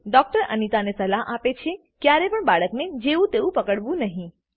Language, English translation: Gujarati, The doctor advices Anita to never handle the baby roughly